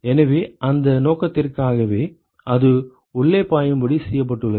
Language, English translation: Tamil, So, it is for that purpose that it is been made to flow inside